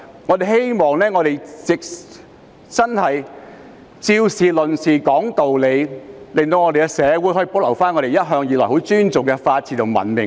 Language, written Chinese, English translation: Cantonese, 我希望我們以事論事，講道理，讓社會可以保留我們向來尊重的法治和文明。, I hope we can stick to the topic and be reasonable so that the rule of law and civilization which we respect all along will be safeguarded in society